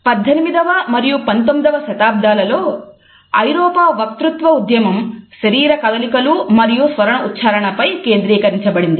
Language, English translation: Telugu, In the 18th and 19th centuries we find that the European elocution movement also emphasized on the body movements and vocalizations